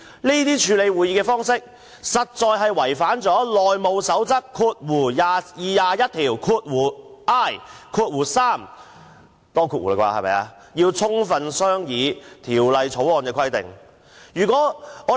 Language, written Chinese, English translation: Cantonese, 這種處理《條例草案》的方式，實在有違《內務守則》第 21i 條有關要充分商議法案的規定。, The handling of the Bill is actually in contravention of rule 21iiii of the House Rules about full deliberation